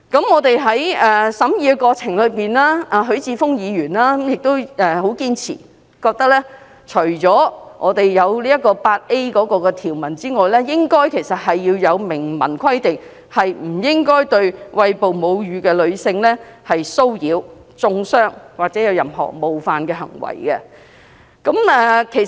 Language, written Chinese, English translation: Cantonese, 我們在審議過程中，許智峯議員亦很堅持，認為除了新訂第 8A 條外，應該也要明文規定不應對餵哺母乳的女性作出騷擾、中傷或任何冒犯的行為。, During scrutiny of the Bill Mr HUI Chi - fung insisted that in addition to the new section 8A another provision should be added to expressly provide against any acts of harassment insult or any other form of offence to breastfeeding women